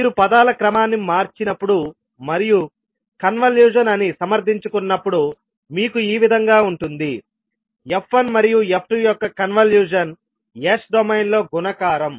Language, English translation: Telugu, So this is how you get when you rearrange the terms and justify that the convolution is, convolution of f1 and f2 is multiplication in s domain